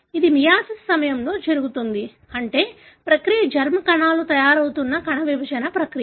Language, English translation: Telugu, This happens during meiosis, meaning the process wherein, the cell division process where the germ cells are being made